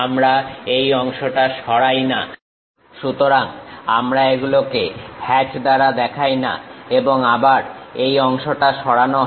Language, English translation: Bengali, We did not remove this part; so, we do not show it by hatch and again this part is removed